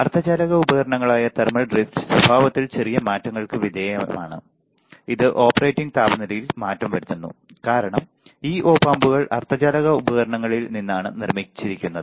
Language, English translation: Malayalam, Thermal drift being a semiconductor devices Op Amps are subject to slight changes in behavior which changes in the operating temperature that we know right because Op Amps are made up out of semiconductor devices